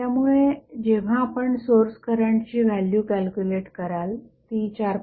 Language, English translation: Marathi, So, when you calculate the value of source current it will become 4